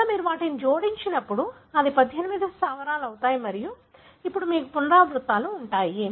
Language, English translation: Telugu, Therefore, when you add them, it becomes 18 bases and then you have the repeats